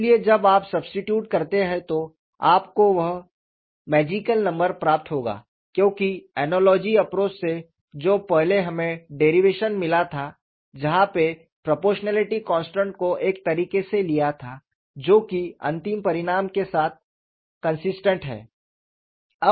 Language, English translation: Hindi, So, when you substitute, you will get that magical number, because in the earlier derivation of the analogy approach, we simply took the proportionality constant in a manner which is consistent with the final result